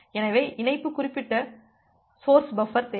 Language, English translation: Tamil, So, we need connection specific source buffering